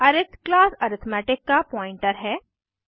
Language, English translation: Hindi, arith is the pointer to the class arithmetic